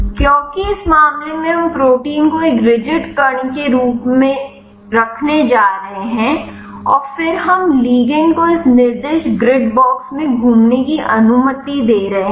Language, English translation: Hindi, Because in this case we are going to keep protein as a rigid particle and then we are allowing the ligand to move around in this specified grid box